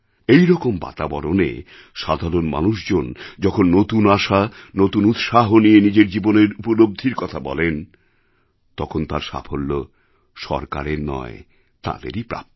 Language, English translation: Bengali, In such an environment, when the common man comes to you talking about emerging hope, new zeal and events that have taken place in his life, it is not to the government's credit